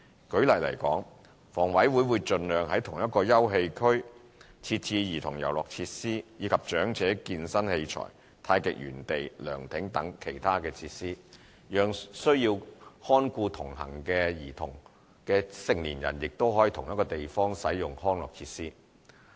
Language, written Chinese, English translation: Cantonese, 舉例來說，房委會會盡量在同一個休憩區設置兒童遊樂設施，以及長者健身器材、太極園地、涼亭等其他設施，讓需要看顧同行的兒童的成年人亦可在同一地方使用康樂設施。, For example HA will try to integrate childrens playground facilities with other facilities such as elderly fitness facilities Tai Chi gardens pavilions etc in the same recreational area to enable adults who need to take care of their accompanying children to use the recreational facilities together in the same area